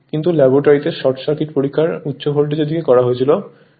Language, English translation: Bengali, But short circuit test in the laboratory performed on the high voltage side